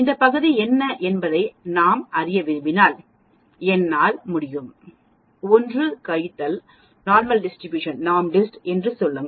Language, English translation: Tamil, If we want to know what this area is I can just say 1 minus NORMSDIST